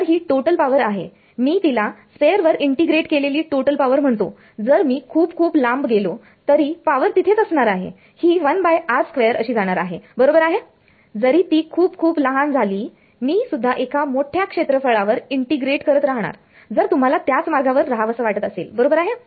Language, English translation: Marathi, So, this is total power I am calling it total power integrated over sphere if I go very, very far away the power is still there it's going as 1 by r square right even though it becomes very very small, I am also integrating over a large area if you want being over that way right